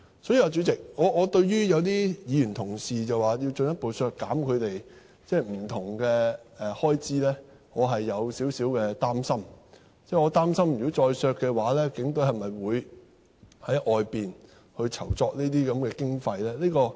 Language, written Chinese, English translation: Cantonese, 所以，主席，我對於有議員表示要進一步削減他們不同的開支，我是有少許擔心，我擔心如果再削減，警隊會否在外間籌措經費呢？, In the light of this Chairman I am a bit worried about some Members call for a further reduction of various expenses on HKPF . What is worrying me is the further cut in HKPFs expenditure will prompt it to seek funds from outside sources